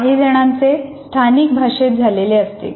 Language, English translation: Marathi, Some of them they do it in local language